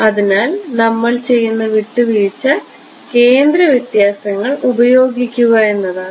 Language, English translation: Malayalam, So, the compromise that we do is this use centre differences